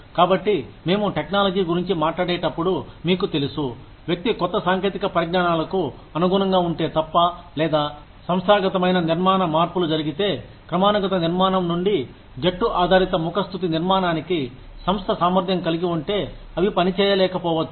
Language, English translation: Telugu, So, when we talk about, you know, technology changing, unless the person is adaptable to new technologies, or, if the organizational structure changes, from hierarchical structure, to a team based flatter structure, if the organization is capable, they may not be able to function